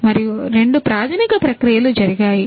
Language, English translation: Telugu, And also there are two preliminary processes that are done